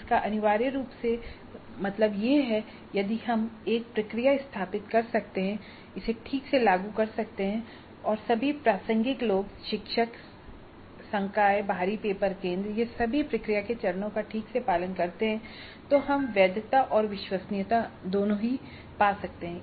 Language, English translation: Hindi, That essentially means that if we can set up a process, have it implemented properly and how all the relevant people, the new teachers, the faculty, the external paper setters, all of them follow the process steps properly, then we get validity as well as reliability